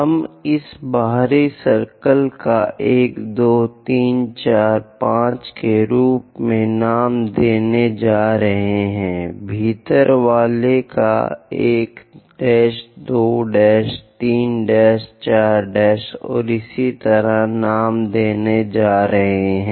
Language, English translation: Hindi, The outer ones we are going to name it as 1, 2, 3, 4, 5; inner ones we are going to name it like 1 dash, 2 dash, 3 dash, 4 dash and so on